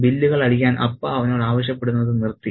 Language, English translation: Malayalam, Appa had stopped asking him to do the bill